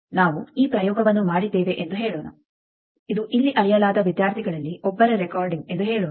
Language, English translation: Kannada, Let us say we have done this experiment let us say this is recording of one of those students here measured